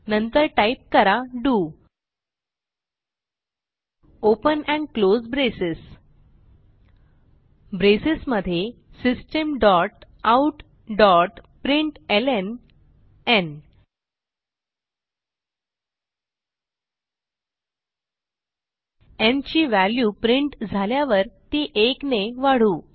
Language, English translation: Marathi, then type do open and close braces Inside the bracesSystem.out.println We shall print the value of n and then increment it